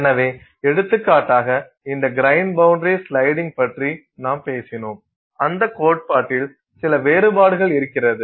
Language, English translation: Tamil, So, for example, we spoke about this grain boundary sliding and there are some variations on that theory